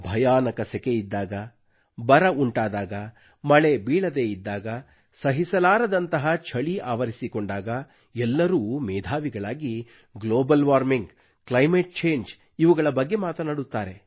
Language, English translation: Kannada, Whenever we face a torrid summer, or floods, incessant rains or unbearable cold, everybody becomes an expert, analyzing global warming and climate change